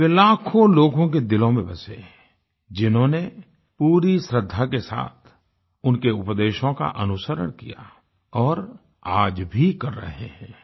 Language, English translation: Hindi, He secured a revered place in the hearts of millions who followed his messages with complete devotion, a practice that continues even in the present times